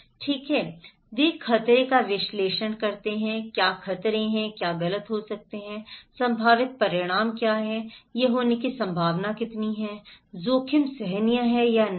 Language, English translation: Hindi, Okay, they do hazard analysis, what are the hazards, what can go wrong, what are the potential consequences, how likely is it to happen, is the risk is tolerable or not